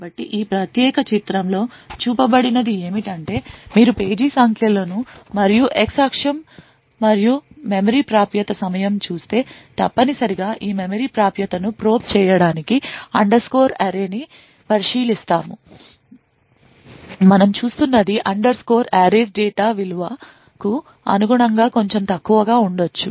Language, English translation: Telugu, So what has been shown in this particular figure is if you look at page numbers and on the x axis and the memory access time essentially make this memory access to probe underscore array what we see is that the memory access time due to the speculative execution may be a bit lower corresponding to the value of data